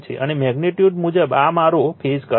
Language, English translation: Gujarati, And as per magnitude wise, this is my phase current